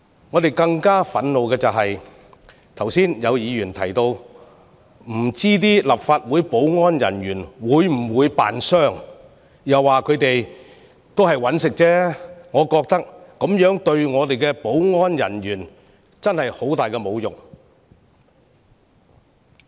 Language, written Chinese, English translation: Cantonese, 我們更感憤怒的是，有議員剛才說不知道立法會保安人員會否扮受傷，又說他們只是為了糊口，我認為對我們的保安人員是很大的侮辱。, What infuriates us even more is an earlier remark of a Member that it was not known whether the security staff of the Legislative Council faked their injuries and they just did it for a pay cheque . I consider it a downright insult to our security staff